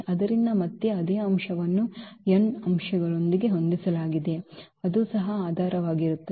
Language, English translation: Kannada, So, again the same thing spanning set with n elements so, that will be also the basis